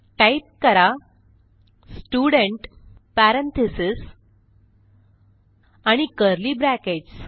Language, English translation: Marathi, So type Student parenthesis and curly brackets